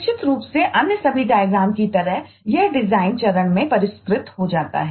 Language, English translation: Hindi, certainly, like all other diagrams, it gets refined in the design phase